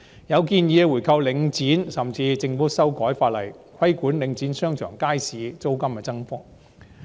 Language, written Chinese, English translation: Cantonese, 有建議提出回購領展，甚至建議政府修改法例，規管領展商場和街市租金的增幅。, There is the suggestion of buying back Link REIT . It is even suggested that the Government should amend the law to regulate the rate of rental increase in shopping malls and markets under Link REIT